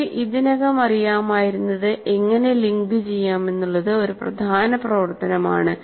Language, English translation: Malayalam, So what we already knew, how to link it is the major activity